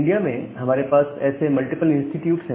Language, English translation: Hindi, Now in India we have multiple such institutes